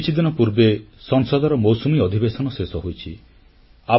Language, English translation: Odia, The monsoon session of Parliament ended just a few days back